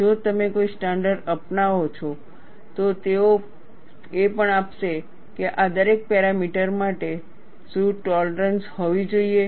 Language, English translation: Gujarati, If you take up a standard, they would also give what should be the tolerance for each of these dimensions